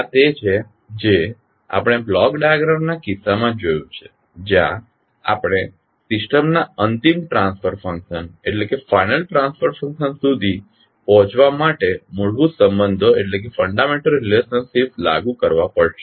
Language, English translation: Gujarati, This is what we have seen in case of block diagram where we have to apply the fundamental relationships to come at the final transfer function of the system